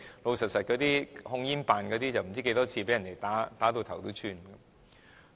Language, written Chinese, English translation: Cantonese, 老實說，控煙辦公室人員不知道多少次被人打到頭破血流。, Honestly speaking numerous TCO staff ended up in bruises and bloody noses from time to time